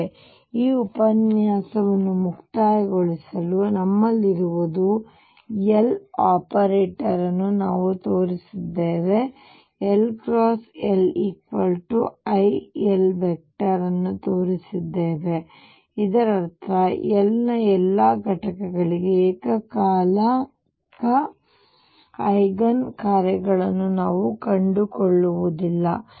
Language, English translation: Kannada, So, just to conclude this lecture what we have is we have shown derive the L, L operator that we have shown that L cross L is i L and that means, that I cannot find simultaneous eigen functions for all components of L